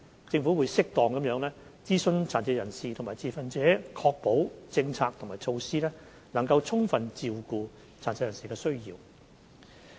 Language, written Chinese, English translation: Cantonese, 政府會適當地諮詢殘疾人士和持份者，以確保政策和措施能充分照顧殘疾人士的需要。, The Government will appropriately consult persons with disabilities and stakeholders so as to ensure that the relevant policies and measures can adequately cater for the needs of persons with disabilities